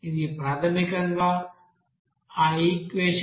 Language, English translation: Telugu, This is basically that equation